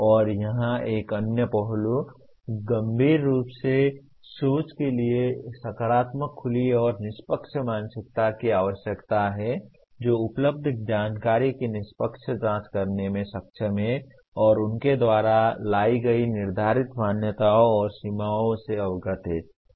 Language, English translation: Hindi, And here another aspect, thinking critically requires a positive open and fair mindset that is able to objectively examine the available information and is aware of the laid assumptions and limitations brought about by them